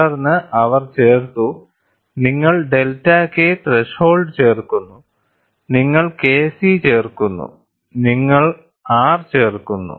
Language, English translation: Malayalam, Then they have added, you add delta K threshold, you add K c you add R